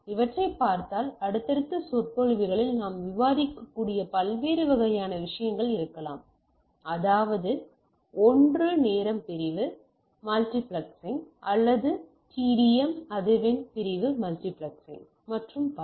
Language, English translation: Tamil, And if you look at these are there can be different type of things we will discuss in our subsequent lectures, that is one is time division multiplexing or TDM frequency division multiplexing and so and so forth